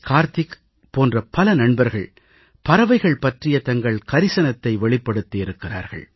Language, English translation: Tamil, Kartik and many such friends have expressed their concern about birds during the summer